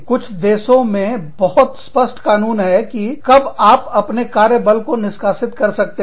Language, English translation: Hindi, In some countries, the laws will be very clear on, when you can, terminate your workforce